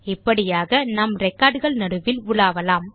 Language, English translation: Tamil, This way we can traverse the records